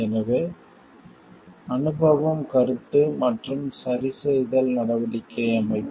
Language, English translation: Tamil, So, experience feedback and corrective action system